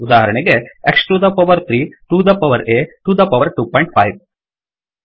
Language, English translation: Kannada, For example, X to the power 3, to the power A, to the power 2.5